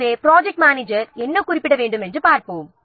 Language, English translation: Tamil, So, let's see what the project manager should specify